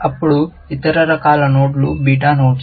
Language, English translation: Telugu, Then, other kinds of nodes are beta nodes